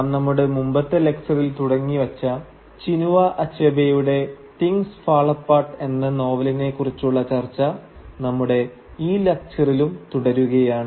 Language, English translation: Malayalam, Today we will continue with our exploration of Chinua Achebe’s novel Things Fall Apart which we have already started discussing in our previous lecture